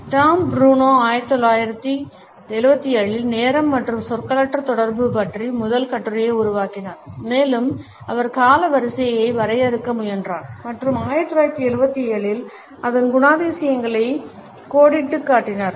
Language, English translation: Tamil, Tom Bruneau developed the first article on time and nonverbal communication in 1974 and he also attempted to define chronemics and outlined its characteristics in 1977